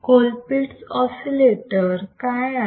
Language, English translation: Marathi, So, what is a Colpitt’s oscillator